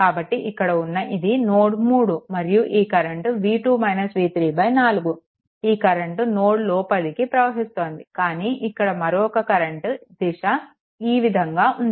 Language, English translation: Telugu, So, this is your this is your node 3 and this current is v 2 minus v 3 by 4, this current is entering into the node right, but another current here direction is taken this way